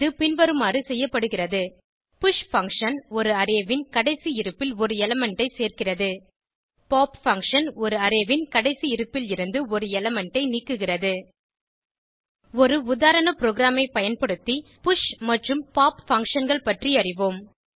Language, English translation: Tamil, This can be done by using push function which adds an element at the last position of an Array and pop function which removes an element from the last position of an Array Let us understand push and pop functions by using a sample program